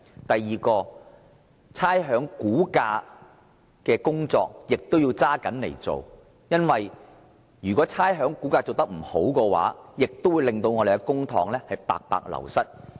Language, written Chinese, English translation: Cantonese, 第二點，必須嚴格執行差餉估價的工作，因為如果這方面的工作做得不好，會令公帑白白流失。, The second point is the work of assessment to rates must be carried out stringently as any inadequacies will result in a loss of public money